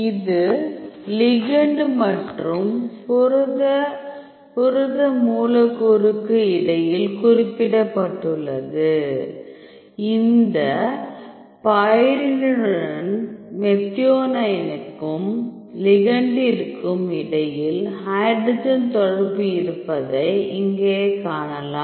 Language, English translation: Tamil, So, which is specified between the ligand and protein protein molecule, here we can see there is hydrogen interaction between the methionine and the ligand with this with this pyridine